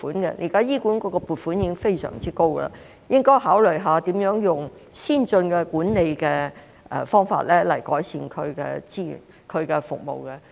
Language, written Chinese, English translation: Cantonese, 現時醫管局的撥款已經非常高，應該考慮一下如何以先進的管理方法改善資源及服務。, At present HA has already been provided with huge funding and consideration should be given to how to improve resources and services through advanced management methods